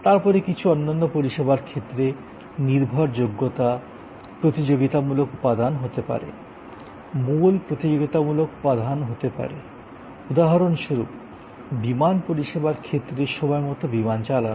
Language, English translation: Bengali, Then in some other kinds of services dependability can be the competitive element, key competitive element like for example, on time flight in cases of airlines service